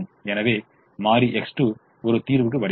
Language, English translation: Tamil, so variable x two comes into the solution